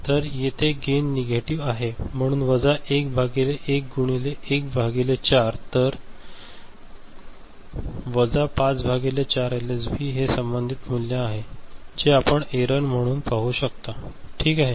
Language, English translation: Marathi, So, here the gain is negative, so minus 1 by 1 into 1 upon 4, so minus 5 by 4 LSB is the corresponding value that you can see as the error, ok